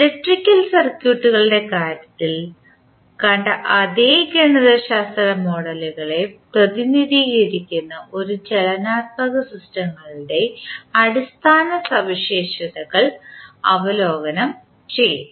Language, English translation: Malayalam, We will review the basic properties of these dynamic systems which represent the similar mathematical models as we saw in case of electrical circuits